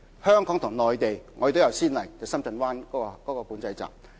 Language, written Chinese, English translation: Cantonese, 香港和內地都有先例，那便是深圳灣管制站。, There is a precedent in Hong Kong and the Mainland the Shenzhen Bay Control Point